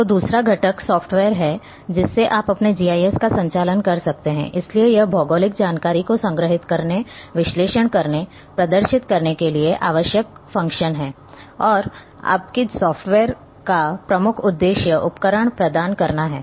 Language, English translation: Hindi, So, the second component that you need the software to run your GIS operations, so this provides functions and tools needed to store, analyse, display geographical information that’s the main purpose of your softwares